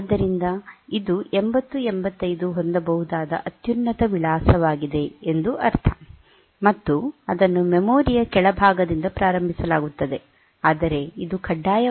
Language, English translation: Kannada, So, that it means that it is the highest possible address at which the 8085 can have, and it is initialized to that so it is initialized to the bottom of the memory